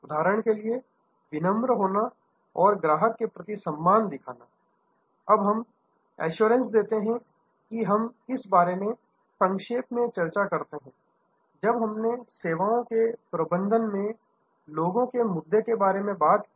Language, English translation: Hindi, As for example, being polite and showing respect for a customer, now assurance we briefly discuss this, when we discussed about the people issues in services management